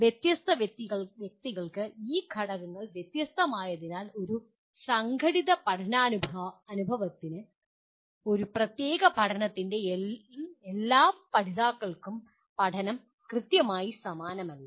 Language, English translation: Malayalam, As these factors are different for different individuals so what may happen is learning is not exactly the same for all the learners in a particular during an organized learning experience